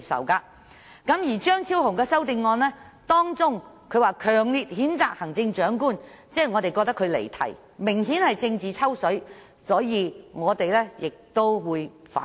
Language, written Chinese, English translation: Cantonese, 張超雄議員在他的修正案中強烈譴責行政長官，我們覺得他離題，明顯是政治"抽水"，所以我們亦會反對。, In his amendment Dr Fernando CHEUNG strongly condemns the Chief Executive . In our view he has clearly deviated from the subject and he makes such a remark obviously for reaping political advantages . That is why we will also oppose his amendment